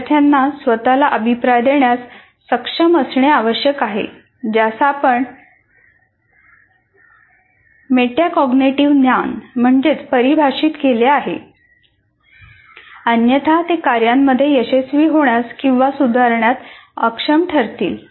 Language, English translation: Marathi, Students need to be able to give themselves feedback, that is what we defined also as metacognitive knowledge while they are working, otherwise they will be unable to succeed with tasks or to improve